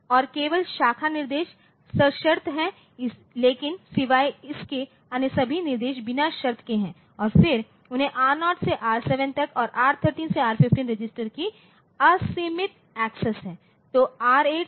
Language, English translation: Hindi, And, the only the branch instructions are conditional, but excepting that all other instructions they are unconditional then they have got unlimited access to registers R0 to R7 only and R13 to R15